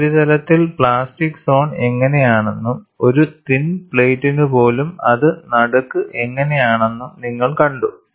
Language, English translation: Malayalam, You had seen how the plastic zone was on the surface, how it was there in the middle, even for a thin plate